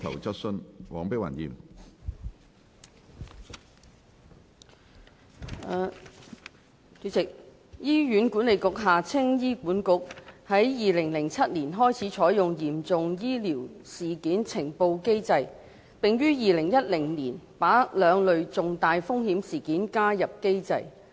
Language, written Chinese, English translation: Cantonese, 主席，醫院管理局於2007年開始採用嚴重醫療事件呈報機制，並於2010年把兩類重大風險事件加入機制。, President the Hospital Authority HA has adopted a sentinel event reporting mechanism since 2007 and added two types of serious untoward events to the mechanism since 2010